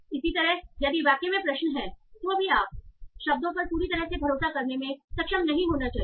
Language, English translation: Hindi, Similarly, if there are questions in the sentence, then also you should not be able to fully rely on the words